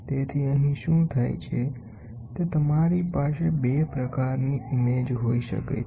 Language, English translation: Gujarati, So, here what happens is you can have 2 types of images